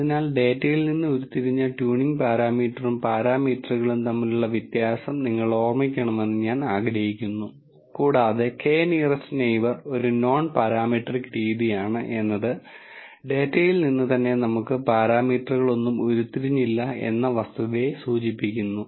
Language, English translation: Malayalam, So, I want you to remember the distinction between a tuning parameter and parameters that are derived from the data and the fact that k nearest neighbor is a nonparametric method, speaks to the fact that we are not deriving any parameters from the data itself